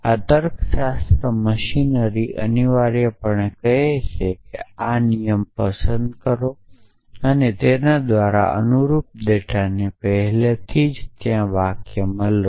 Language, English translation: Gujarati, This logic machine essentially says pick our rule and corresponding data by data had be mean the sentences which are already there